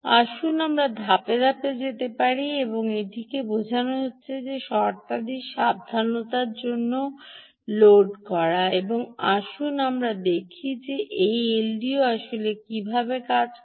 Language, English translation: Bengali, lets go step by step and understand this is loading conditions carefully and let us see exactly how this l d o actually functions